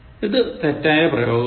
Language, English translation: Malayalam, This is wrong usage